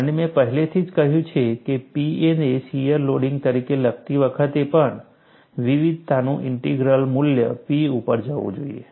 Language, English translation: Gujarati, And I have already said, even while writing the P as a shear loading, I said the integral of the variation should go to the value P